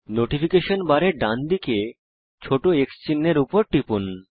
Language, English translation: Bengali, Click on the small x mark on the right of the Notification bar